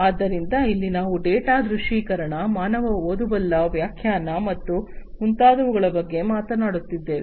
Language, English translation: Kannada, So, here we are talking about data visualization, human readable interpretation, and so on